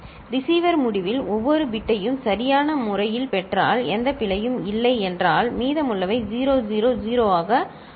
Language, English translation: Tamil, And at the receiver end, when if every bit is appropriately received, no error is there, then the remainder will become 0 0 0, ok